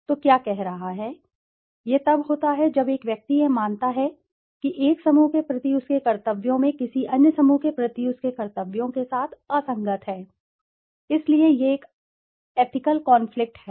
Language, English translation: Hindi, So what is saying, it occurs when an individual perceives that his or her duties towards one group are inconsistent with his or her duties towards some other group, so this is an ethical conflict